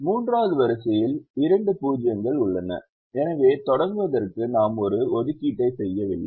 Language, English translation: Tamil, the third row has two zeros, so we don't make an assignment to begin with